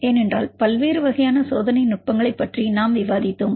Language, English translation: Tamil, Like because as we discussed about different types of experimental techniques